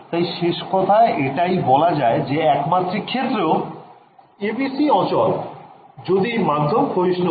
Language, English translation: Bengali, So, the conclusion is that even in 1D the ABC fail if the medium is lossy ok